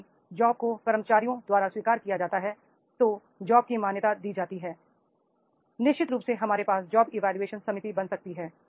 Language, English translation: Hindi, If the job is accepted by the employees job is recognized, then definitely we can have a creating a job evaluation committee